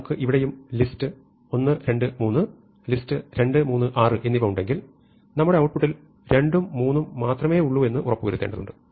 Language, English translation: Malayalam, So, for example, if I have list 1, 2, 3 and list 3, 4, 6 then I may want to keep in the list only 1, 2